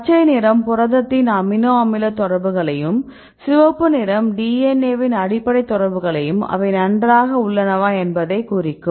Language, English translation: Tamil, So, the green one are the amino acid contacts from the protein side, and the red one are the base contacts from the DNA side right you can see the contacts fine